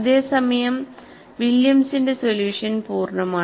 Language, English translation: Malayalam, Whereas, the Williams' solution was complete